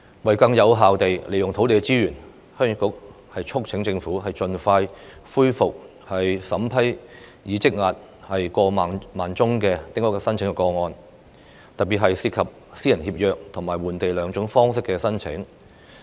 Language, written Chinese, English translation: Cantonese, 為更有效地運用土地資源，鄉議局促請政府盡快恢復審批已積壓的過萬宗丁屋申請個案，特別是涉及私人協約和換地兩種方式的申請。, In order to use land resources more effectively Heung Yee Kuk urges the Government to expeditiously resume examination of a backlog of over 10 000 small house applications especially those involving Private Treaty Grant and Land Exchange